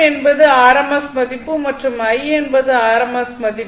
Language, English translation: Tamil, V is the rms value, and I is the rms value